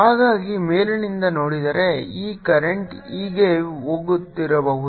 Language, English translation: Kannada, so if i look at from the top, this current may be going like this